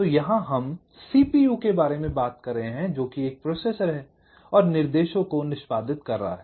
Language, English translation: Hindi, so here we are talking about a cpu, a processor which is executing instructions